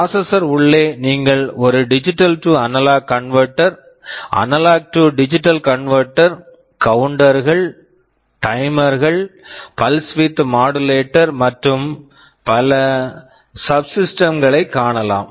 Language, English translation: Tamil, You can see a digital to analog converter, you can see analog to digital converter, counters, timers, pulse width modulator, so many subsystems